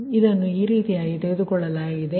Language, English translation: Kannada, this is taken this way right